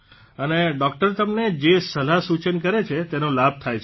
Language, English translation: Gujarati, And the guidance that doctors give you, you get full benefit from it